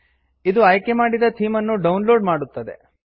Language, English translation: Kannada, This will download the chosen theme